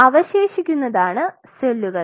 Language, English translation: Malayalam, So, what you are having cells